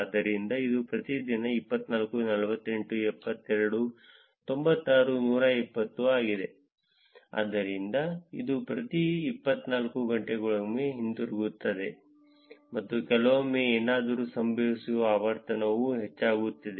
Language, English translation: Kannada, So, this is for every day 24, 48, 72, 96 120, so it is kind of coming back every 24 hours and sometimes the frequency is also increasing for something happens